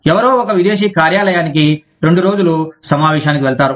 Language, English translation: Telugu, Somebody goes to a foreign office, for two days, for a meeting